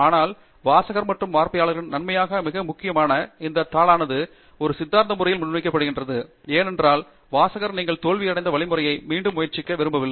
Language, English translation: Tamil, But most importantly for the benefit of readership and the audience always the paper is presented in a coherent manner, because you don’t want the reader to go through the same torture that you have gone through in discovering this